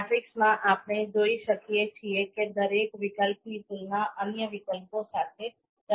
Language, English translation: Gujarati, So in the matrix, we can see that each alternative has been compared with the other alternative